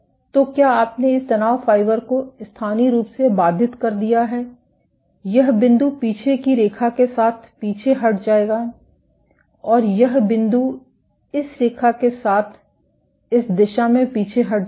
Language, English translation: Hindi, So, you have you have locally disrupted this stress fiber, this point will retract along the line backward and this point will retract along this line in this direction